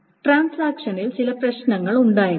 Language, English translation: Malayalam, There may be certain problems in transactions